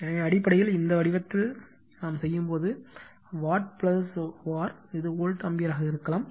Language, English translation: Tamil, So, basically when doing right in this form, watt plus your var this can be an volt ampere